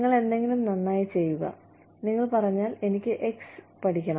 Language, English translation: Malayalam, You do something well, and you say, I want to learn X